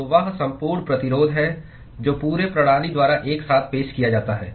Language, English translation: Hindi, So, that is the overall resistance that is offered by the whole system together